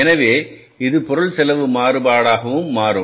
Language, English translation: Tamil, So, it becomes the material cost variance